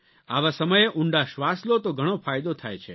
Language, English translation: Gujarati, Deep breathing during these times is very beneficial